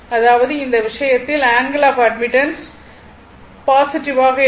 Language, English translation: Tamil, That means, in that case angle of admittance is your positive right